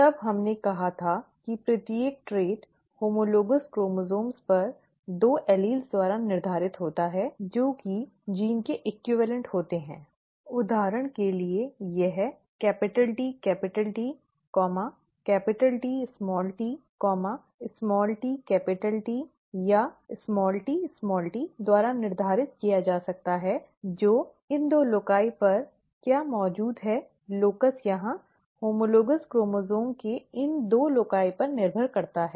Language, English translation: Hindi, Then we said that each trait is determined by two alleles on homogenous, homologous chromosomes which are the equivalent of genes; for example, this could be determined by TT capital that, capital T small t, small t capital T or small tt, depending on what is present on these two loci, locus here, these two loci of the homologous chromosomes